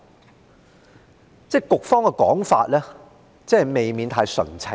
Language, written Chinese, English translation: Cantonese, 就是說，局方的說法未免太純情。, In other words the argument of the Bureau is a bit too naïve